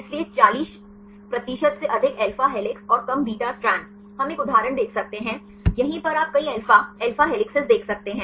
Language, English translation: Hindi, So, more than 40 percent alpha helices and less beta strands right we can see an example right here you can see several alpha alpha helices